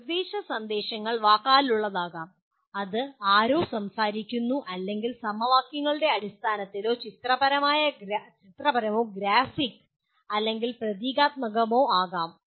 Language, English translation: Malayalam, The instructional messages can be verbal that is somebody speaking or it can be pictorial or graphic or symbolic in terms of equations